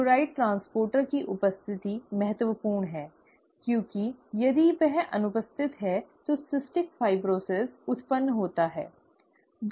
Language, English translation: Hindi, The presence of the chloride transporter is important, because if that is absent, cystic fibrosis arises